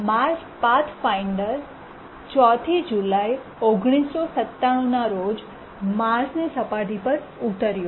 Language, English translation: Gujarati, Mars Pathfinder landed on the Mars surface on 4th July 1997